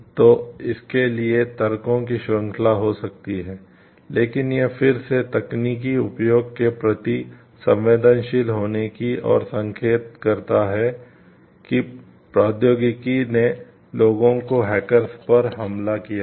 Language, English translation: Hindi, So, there could be series of arguments for it, but what again it hints towards responsive use of the technology the power of technology that people have attack hackers